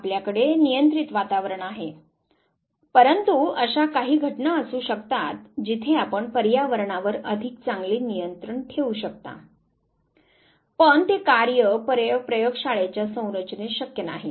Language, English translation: Marathi, You have a controlled environment, but there could be cases where you still have a better control over the environment, but it is not real lab set up actually